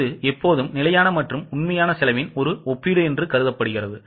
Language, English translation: Tamil, It is always a comparison of standard and actual cost